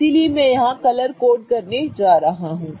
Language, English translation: Hindi, So, I'm going to color code here